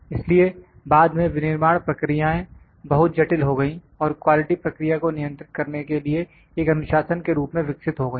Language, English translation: Hindi, So, later on the manufacturing processes became more complex and quality developed into a discipline for controlling process